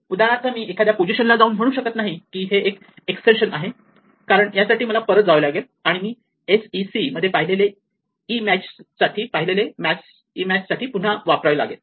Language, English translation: Marathi, So, I cannot, for instance go here and say that this is an extension because this requires me to go back and reuse the e that I have seen in sec to match